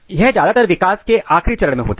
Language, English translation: Hindi, This occurs most of the time at later stage of the development